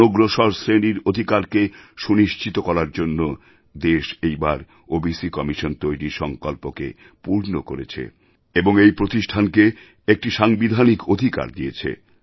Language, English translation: Bengali, The country fulfilled its resolve this time to make an OBC Commission and also granted it Constitutional powers